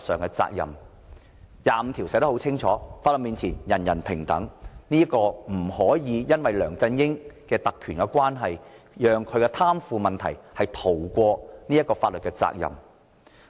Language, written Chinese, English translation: Cantonese, 《基本法》第二十五條寫得很清楚，在法律面前人人平等，不可以因為梁振英擁有特權便讓他的貪腐行為逃過法律責任。, Since Article 25 of the Basic Law clearly provides that all Hong Kong residents shall be equal before the law we cannot allow LEUNG Chun - ying to have the privilege of avoiding legal responsibilities for his corruption offences